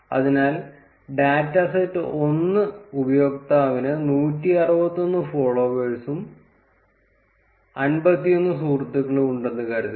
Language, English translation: Malayalam, So, data set 1 would be suppose user 1 has 161 followers and 51 friends